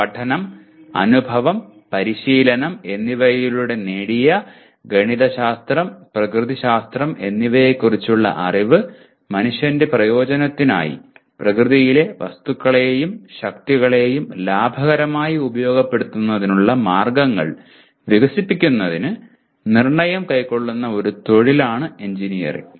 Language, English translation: Malayalam, Engineering is a profession in which a knowledge of the mathematical and natural sciences gained by study, experience and practice is applied with judgment to develop ways to utilize economically the materials and forces of nature for the benefit of mankind